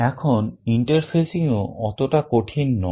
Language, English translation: Bengali, Now, interfacing is also not quite difficult